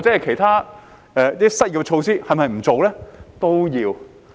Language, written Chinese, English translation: Cantonese, 其他失業措施是否也不做呢？, Shall we not take forward other measures to tackle unemployment?